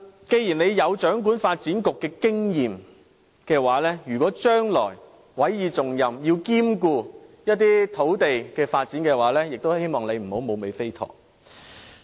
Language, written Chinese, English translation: Cantonese, 既然他有掌管發展局的經驗，如果將來委以重任，需要兼顧一些土地發展時，也希望他不要變成"無尾飛陀"。, Having gained an experience in heading the Development Bureau he is earnestly expected to fulfil his duties reliably when further entrusted with major tasks in overseeing land development